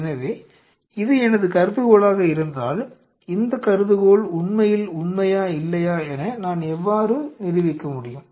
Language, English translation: Tamil, So, it is fine if this is my hypothesis how I can prove this hypothesis, whether this is really true or not